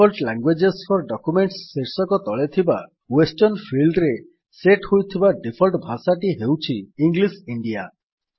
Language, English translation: Odia, Now under the headingDefault languages for documents, the default language set in the Western field is English India